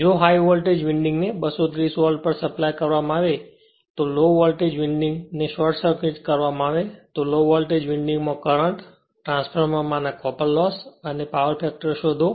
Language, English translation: Gujarati, If the high voltage winding is supplied at 230 volt with low voltage winding short circuited right, find the current in the low voltage winding, copper loss in the transformer and power factor